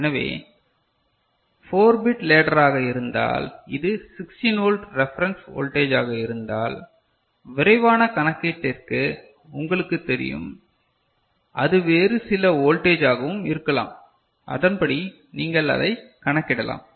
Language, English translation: Tamil, So, if it is a 4 bit ladder and if it is a 16 volt reference voltage is there just you know for quick calculation, it could be some other voltage also and accordingly you can calculate it